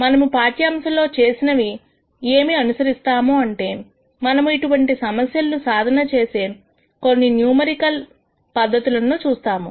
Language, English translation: Telugu, What we will do in the lectures that follow, we will look at some numerical methods for solving these types of problems